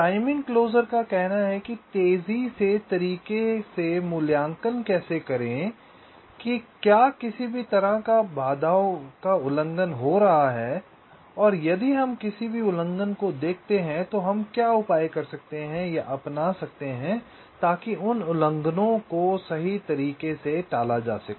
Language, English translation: Hindi, timing closer broadly says that how to evaluate, while in a fast way, whether any of the constraints are getting violated and if we see any violation, what are the measures we can possibly take or adopt so as those violations can be avoided